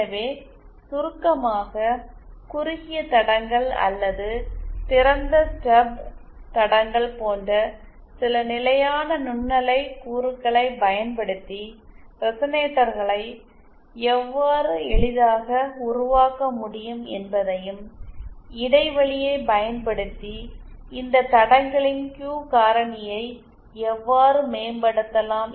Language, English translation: Tamil, So, in summary, we saw how resonators can be easily built using some standard microwave components like shorted lines or open stub lines and how we can improve the Q factor of these lines using a gap